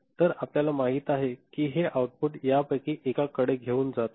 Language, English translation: Marathi, So, you are you know, you are taking this output to one of them right